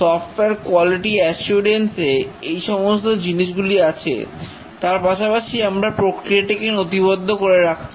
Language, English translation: Bengali, Software quality assurance, these things are still there, but then we also have documented process